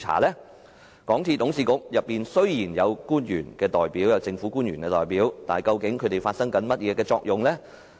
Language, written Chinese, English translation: Cantonese, 雖然港鐵公司董事局內有政府官員代表，但究竟他們發揮到甚麼作用呢？, Though there are representatives of government officials at the Board of Directors of MTRCL what role do they actually play?